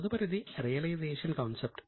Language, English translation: Telugu, Next is realization concept